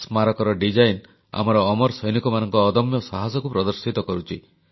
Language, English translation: Odia, The Memorial's design symbolises the indomitable courage of our immortal soldiers